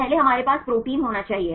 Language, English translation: Hindi, First we need to have a protein right